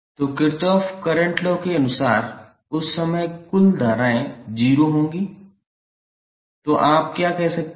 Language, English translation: Hindi, So, as per Kirchhoff Current Law your some of the currents at that junction would be 0, so what you can say